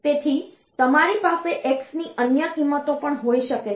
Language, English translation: Gujarati, So, you can have other values of x as well